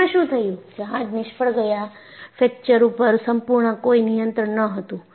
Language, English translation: Gujarati, What happened was, the ships failed; there was absolutely no control on fracture